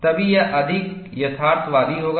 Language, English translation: Hindi, Only then, it will be more realistic